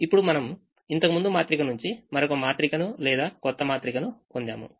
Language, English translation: Telugu, now this is a new matrix that we have got from the previous matrix